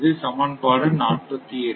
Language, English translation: Tamil, So, this is equation 48, right